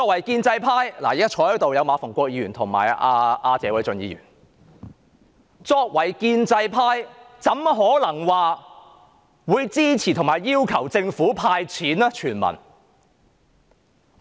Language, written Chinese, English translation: Cantonese, 建制派的議員——現時馬逢國議員及謝偉俊議員在席——豈可支持和要求政府全民"派錢"？, How can Members of the pro - establishment camp―Mr MA Fung - kwok and Mr Paul TSE are in the Chamber now―support and demand the handing out of a universal cash payout by the Government?